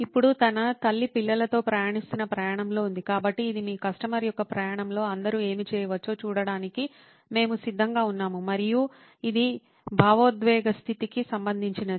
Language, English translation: Telugu, Now this is during the journey that the mother is going through with a child, so this we are open to seeing what all can probably go on your customer’s journey and this is after what is the emotional state